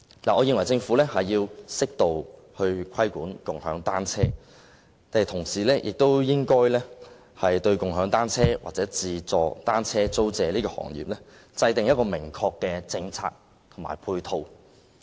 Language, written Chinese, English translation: Cantonese, 我認為政府要適度規管"共享單車"，但同時亦應該就"共享單車"或"自助單車租借"行業，制訂明確的政策及配套。, In my view the Government needs to impose an appropriate degree of regulation on bicycle - sharing but at the same time it should also formulate a clear policy and ancillary measures for bicycle - sharing or self - service bicycle hiring industries